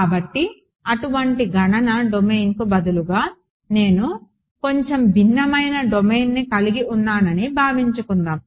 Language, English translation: Telugu, So, let me ask you supposing instead of such a computational domain I had a bit of a slightly different domain